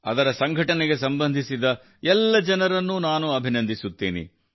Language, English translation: Kannada, I congratulate all the people associated with its organization